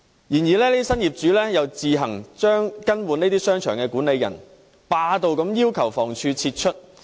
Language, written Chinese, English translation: Cantonese, 然而，這些新業主又自行更換商場管理人，霸道地要求房屋署撤出。, However the new property owners also took it upon themselves to change the manager of the shopping centre and demanded peremptorily that the Housing Department pull out